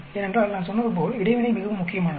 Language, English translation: Tamil, Because as I said interaction is very very important